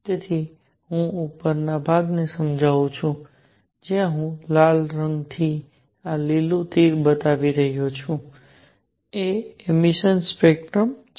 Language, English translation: Gujarati, So, let me explain the upper portion where I am showing this by red the green arrow is the emission spectrum